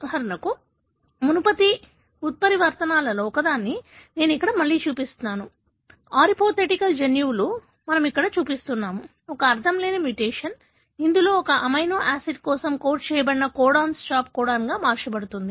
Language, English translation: Telugu, For example, I am showing here again one of the earlier mutations, that arehypothetical genes we are showing here, a nonsense mutation wherein, a codon which codes for a amino acid is converted into a stop codon